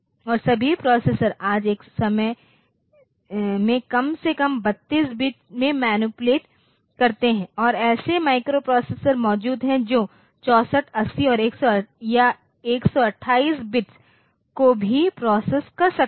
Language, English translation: Hindi, And all processors today they manipulate at least 32 bits at a time and there exist microprocessors that can process 64, 80 or 128 bits also